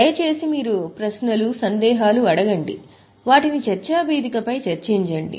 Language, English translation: Telugu, All your queries and questions please discuss them on the discussion forum